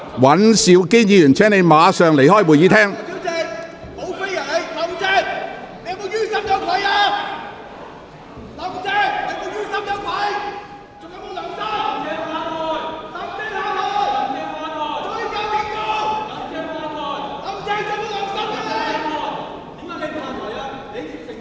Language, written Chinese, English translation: Cantonese, 尹兆堅議員，請你立即離開會議廳。, Mr Andrew WAN please leave the Chamber immediately